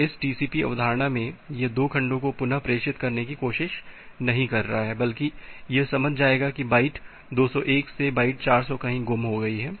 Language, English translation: Hindi, So, in this TCP philosophy it is not trying to retransmit 2 segments, rather it will understand that byte 201 to byte 400 has lost